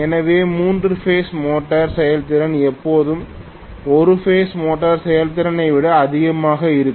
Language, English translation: Tamil, So the three phase motor efficiency is always going to be greater than single phase motor efficiency as a rule